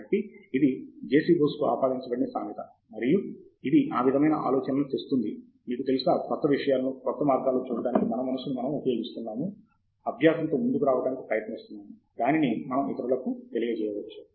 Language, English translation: Telugu, So, that is the quote attributed to JC Bose and it sort of brings out this idea that, you know, we are applying our mind to look at new things, in new ways, and trying to come up with learning, which we can then convey to others